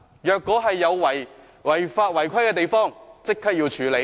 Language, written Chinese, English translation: Cantonese, 如果有違法違規的地方，要立即處理。, Any breach of laws and regulations should be dealt with immediately